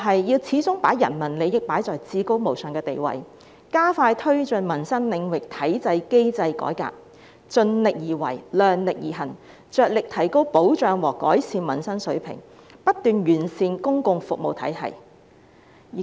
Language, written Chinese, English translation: Cantonese, 要始終把人民利益擺在至高無上的地位，加快推進民生領域體制機制改革，盡力而為、量力而行，着力提高保障和改善民生水平，不斷完善公共服務體系。, We must always place the peoples interests above everything else accelerate reforming our systems and mechanisms in sectors for public wellbeing and do everything in our means to guarantee and improve peoples standard of living